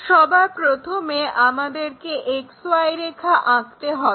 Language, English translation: Bengali, First of all we have to draw XY line